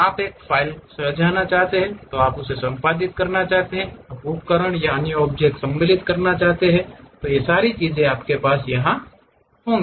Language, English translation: Hindi, You want to save a file, you want to edit it, you want to insert tools, other objects, you will have it